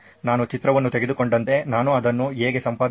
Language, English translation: Kannada, Like I take a picture, how may I edit that